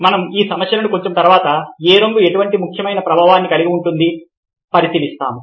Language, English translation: Telugu, we will look at these issues a little later that colour has such a significant effect